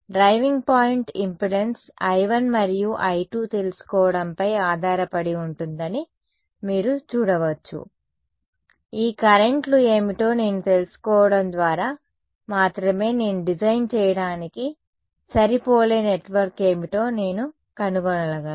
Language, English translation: Telugu, So, you can see that the driving point impedance depends on knowing I 1 and I 2, I need to know what these currents are only then I can find out what is the matching network to design right